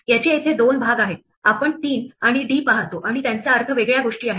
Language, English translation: Marathi, This has two parts here, we see a 3 and a d and they mean different things